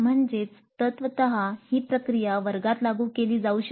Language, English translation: Marathi, That means in principle the process can be implemented in a classroom